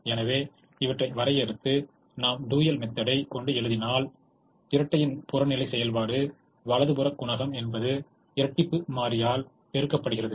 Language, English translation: Tamil, so if we define these, then if we write the dual, then we know that the objective function of the dual is the right hand side coefficient multiplied by the dual variables